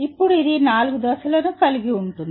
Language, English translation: Telugu, Now it consists of 4 stages